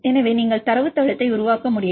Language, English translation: Tamil, So, it is you can do it develop a database